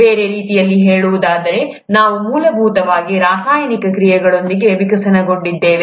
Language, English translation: Kannada, In other words, we have essentially evolved from chemical reactions